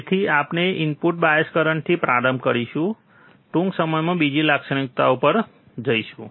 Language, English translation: Gujarati, So, we will start with input bias current we will go to another characteristics in a short while